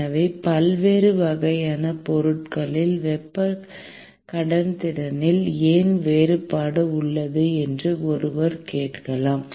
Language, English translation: Tamil, So, one may ask a question as to why there is difference in the thermal conductivities across different types of the materials